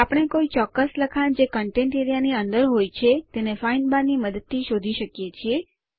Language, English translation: Gujarati, We can find specific text which is within the Contents area with the help of the Find bar